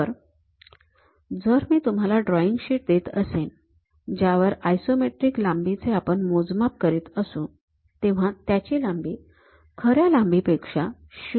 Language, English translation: Marathi, So, if I am giving you a drawing sheet on which there is something like isometric lengths which we are measuring, the true length will be 0